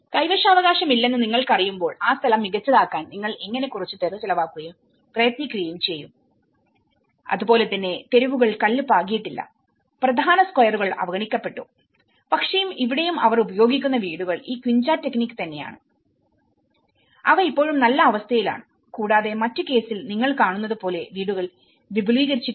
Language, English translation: Malayalam, When you know, that the tenure is not with you, how will you dedicate some amount and effort to make that place better and similarly the streets have not been paved and the main squares has also been neglected and but the houses which here also they use this quincha technique and they are still in a good conditions and there also extension of the homes which you see in the other cases as well